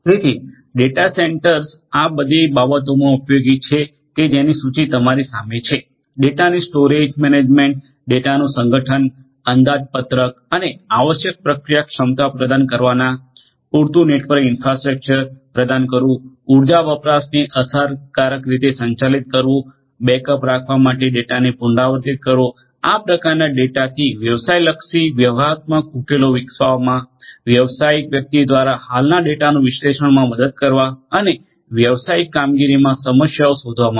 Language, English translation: Gujarati, So, data centres are useful in all of these things that you see listed in front of you, storage management organisation of the data estimating and providing necessary processing capacity, providing sufficient network infrastructure, effectively managing energy consumption, repeating the data to keep the backup, developing business oriented strategic solutions from this kind of data the big data, helping the business personal to analyse the existing data and discovering problems in the business operations